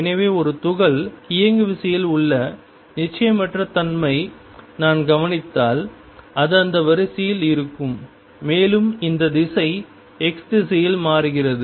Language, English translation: Tamil, So, the uncertainty in the momentum of a particle if I observe it is going to be of this order and this momentum changes in the direction x